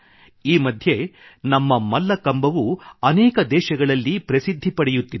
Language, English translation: Kannada, Nowadays our Mallakhambh too is gaining popularity in many countries